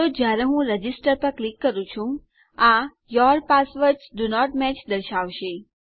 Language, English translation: Gujarati, So, when I click register, it should say Your passwords does not match